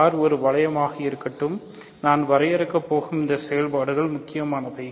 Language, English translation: Tamil, So, let R be a ring, but this is these operations I am going to define are important